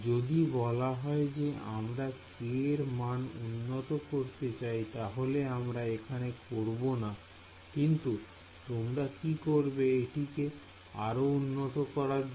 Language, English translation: Bengali, So, let us say if you wanted to improve this k we would not do it here, but what would what would you try to do if wanted to improve this